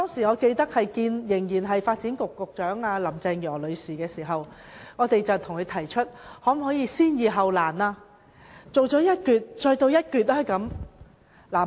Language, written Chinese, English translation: Cantonese, 我記得當時與仍然是發展局局長的林鄭月娥女士會面時，我們向她提出能否先易後難，先興建一段，再做下一段。, I remember that at that time when we met with Ms Carrie LAM who was the then Secretary for Development we asked her if the Government could work on the easier part first and the difficult ones later constructing a section first and then proceeding to the next one